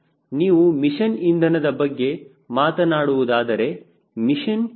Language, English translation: Kannada, if you are talking about mission fuel, what is the mission